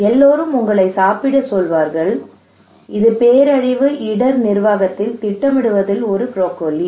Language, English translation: Tamil, Everybody would ask you to eat, it is a broccoli in planning in disaster risk management